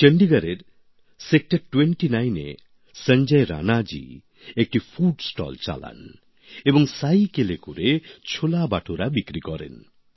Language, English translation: Bengali, In Sector 29 of Chandigarh, Sanjay Rana ji runs a food stall and sells CholeBhature on his cycle